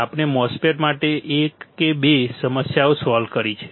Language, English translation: Gujarati, We have solved a one or two problems for the MOSFET